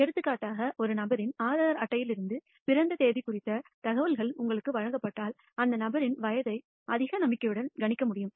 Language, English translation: Tamil, For example, if you are given the information about the date of birth from an Aadhaar card of a person you can predict with a high degree of confidence the age of the person up to let us say number of days